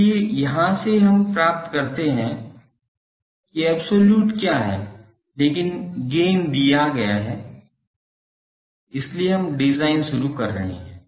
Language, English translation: Hindi, So, from here we can get what is the absolute, but gain is given in so, we are starting the design